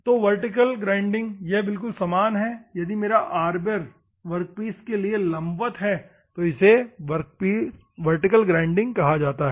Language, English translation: Hindi, So, vertical it is similar if my Arbor ,is vertical ,to the workpiece then it is called vertical grinding process